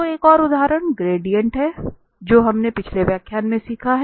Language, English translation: Hindi, So another example is the gradient which we have learned in the last lecture